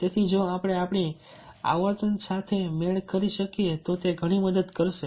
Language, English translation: Gujarati, so if we can match our frequency, then it is going to help a lot